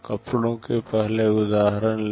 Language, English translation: Hindi, Take the earlier example of clothes